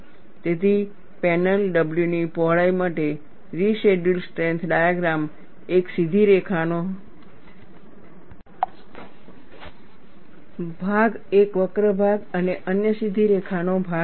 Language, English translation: Gujarati, So, for a width of panel W, the residual strength diagram would be a straight line portion, a curved portion and another straight line portion